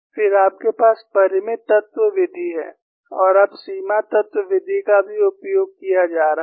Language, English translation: Hindi, Then, you have finite element method and now boundary element method is also being used